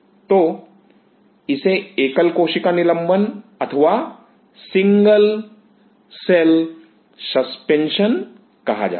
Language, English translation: Hindi, So, this is called single cell suspension